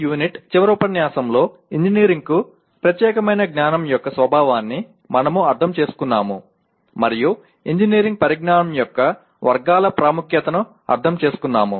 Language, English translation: Telugu, In the last session that is Unit 13, we understood the nature of knowledge that is specific to engineering and understood the importance of categories of engineering knowledge